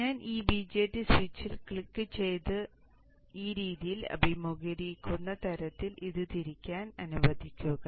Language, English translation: Malayalam, Let me click on this BJT switch and let me rotate it in such a way that it is facing in this fashion